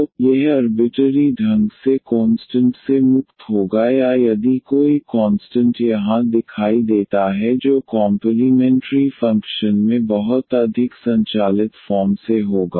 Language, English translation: Hindi, So, it will be free from arbitrary constant or if there is any constant appears here that will be much automatically in the complimentary function